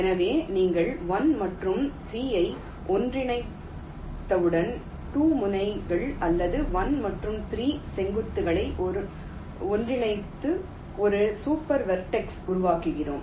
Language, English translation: Tamil, so once you merge one and three, lets say you merge the two nodes or vertices, one and three together to form a one super vertex